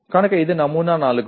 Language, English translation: Telugu, So that is sample 4